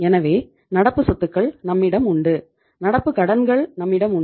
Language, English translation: Tamil, So it means we have the current assets and we have the current liabilities